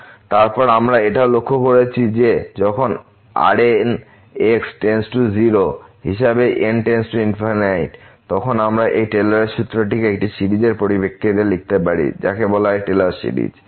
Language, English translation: Bengali, And then we have also observed that when the remainder term goes to 0 as goes to infinity, then we can write down this Taylor’s formula as in the terms of a series which is called the Taylor series